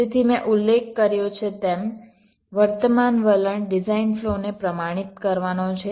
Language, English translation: Gujarati, so the present trend, as i had mentioned, is to standardize the design flow